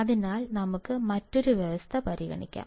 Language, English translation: Malayalam, So, let us consider another condition